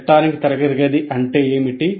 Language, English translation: Telugu, What is in electronic classroom